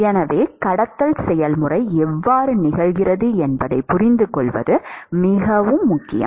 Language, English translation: Tamil, So, it is very important to understand how the conduction process occurs